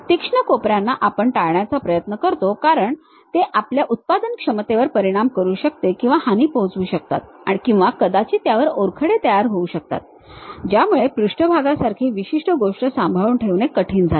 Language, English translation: Marathi, Because, the sharp corners we try to avoid it because, it might affect our productivity or harm or perhaps scratches forms are is difficult to maintain that surface particular thing